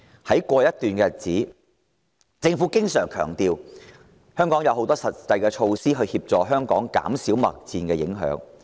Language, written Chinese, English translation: Cantonese, 在過去一段日子，政府經常強調已推出多項實際措施，減少貿易戰對香港的影響。, The Government has constantly stressed for some time now that various practical measures are already in place to mitigate the impacts of the trade war on Hong Kong